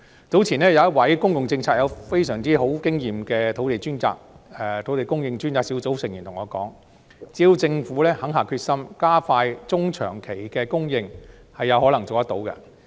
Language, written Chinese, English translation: Cantonese, 早前有一位在公共政策方面擁有非常豐富經驗的專責小組成員對我說，只要政府肯下決心加快中長期供應，是有可能做到的。, A member of the Task Force with extensive experience in public policy tells me that it is possible if the Government is determined to accelerate the medium - to - long - term supply